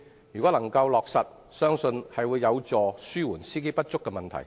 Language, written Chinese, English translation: Cantonese, 建議一旦落實，相信有助紓緩司機不足的問題。, Once implemented the proposal will certainly help alleviate the shortage of drivers